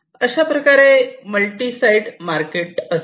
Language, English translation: Marathi, So, these are like multi sided markets